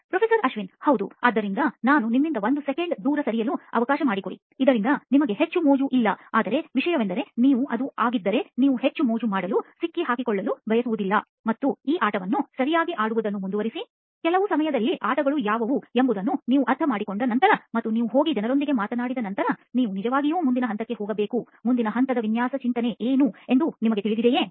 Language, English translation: Kannada, Yeah, so let me sort of move that away from you for a second, so that you don’t have a too much fun, but the thing is, if you, it is, you do not want to caught in having too much fun and just continue to play this game right, at some point after you understood what the games are like and after you go and talk to people, you really need to move on to the next phase, do you know what the next phase design thinking is